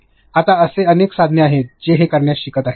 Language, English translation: Marathi, Right now there are multiple tools which are learning to do this